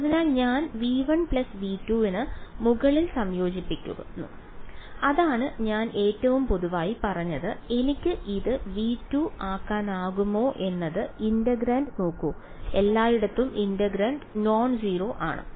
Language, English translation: Malayalam, So, I am integrating over v 1 plus v 2 that is what I said the most general case can I make it just v 2 look at the integrand is the is the integrand non zero everywhere